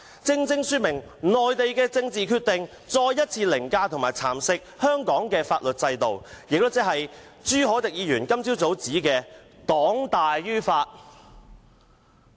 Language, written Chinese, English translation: Cantonese, 這正正說明內地的政治決定再一次凌駕及蠶食香港的法律制度，亦即朱凱廸議員今早所指的"黨大於法"。, It exactly illustrates that political decisions made by the Mainland have once again overridden and eroded the legal system of Hong Kong as in putting the party before the law suggested by Mr CHU Hoi - dick this morning